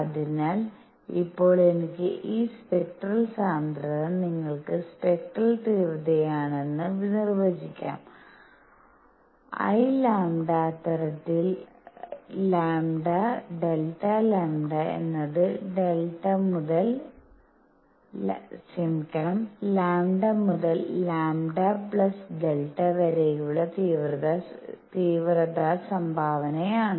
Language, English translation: Malayalam, So, now I can define this spectral density for you is spectral intensity as such; I lambda as such that I lambda delta lambda is the intensity contribution from lambda to lambda plus delta lambda